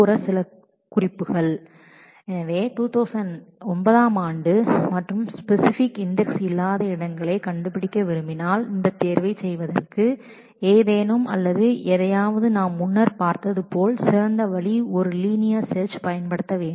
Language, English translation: Tamil, So, if we want to find out the tuples where the year is 2009 and there is no specific index on that or anything to for doing this selection as we have seen earlier the best way would be to use a linear scan